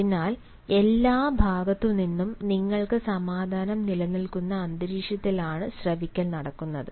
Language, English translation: Malayalam, so listening takes place in an atmosphere where you have peace prevailing in from all sides